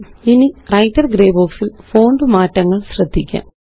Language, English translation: Malayalam, Now notice the font changes in the Writer gray box